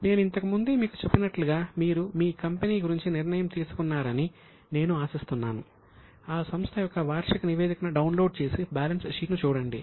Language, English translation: Telugu, As I have told you earlier, I hope you have decided about your company, download the annual report of that company, look at the balance sheet